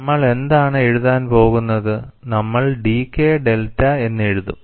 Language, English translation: Malayalam, And what we are going to write is we will write dK delta